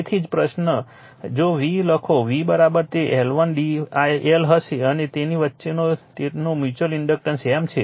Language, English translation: Gujarati, So, that is why first if you write the V V is equal to it will be L 1 d I and their mutual inductor between them is M right